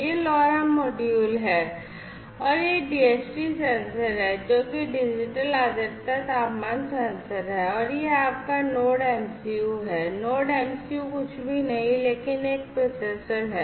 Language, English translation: Hindi, This is this LoRa module and this is your DHT sensor the digital humidity temperature sensor and this is your NodeMCU; NodeMCU which is nothing, but the processor right this is the processor